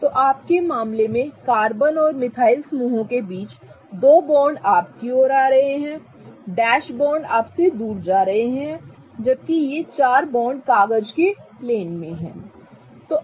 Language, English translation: Hindi, So, in your case, the two bonds between the carbon and the methyl groups are coming towards you and the dashed version of the bonds are the bonds that are going away from you whereas these four bonds are in the plane of the paper